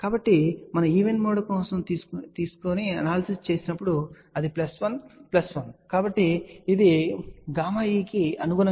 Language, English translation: Telugu, So, when we did the analysis for even mode it was plus 1 plus 1, so that corresponds to gamma e